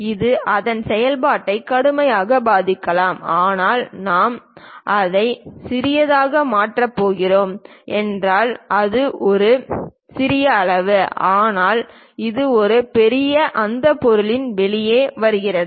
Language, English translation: Tamil, It may severely affect the functionality of that, but in case if we are going to make it a smaller one this this is small size, but this one large it just comes out of that object